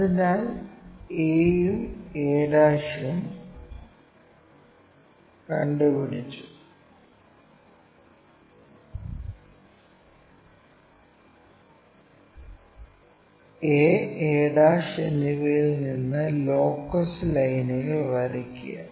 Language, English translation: Malayalam, So, a is also located a and a ', draw locus lines from a and a '